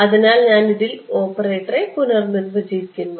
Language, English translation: Malayalam, So, I am redefining the operator in this